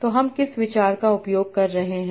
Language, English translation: Hindi, So what is the first idea